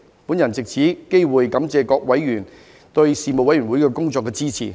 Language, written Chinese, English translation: Cantonese, 我藉此機會感謝各委員對事務委員會工作的支持。, I would like to take this opportunity to thank members for their support for the work of the Panel